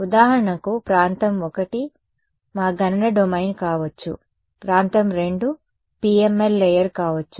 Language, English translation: Telugu, So, for example, region 1 could be our computational domain, region 2 could be the PML layer ok